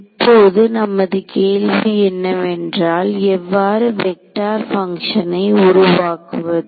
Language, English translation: Tamil, So, now the question is how do I try to construct vector functions out of this